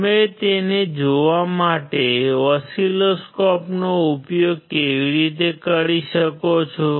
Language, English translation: Gujarati, How you can use the oscilloscope to look at it